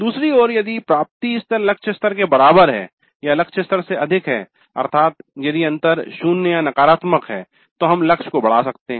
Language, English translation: Hindi, On the other hand, if the attainment level is equal to the target level or is greater than the target level, that means if the gap is zero or negative, we could enhance the target